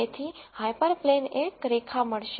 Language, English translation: Gujarati, So, the hyperplane is going to be a line